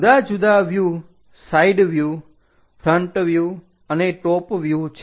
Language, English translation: Gujarati, Different views are side view, front view and top view